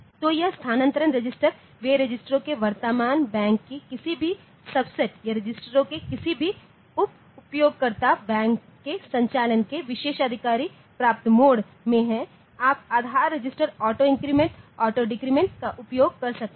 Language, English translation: Hindi, So, this transfer registers they are any subset of current bank of registers or any subset user bank of registers in a privileged mode of operation you can use base register auto increment auto decrement etcetera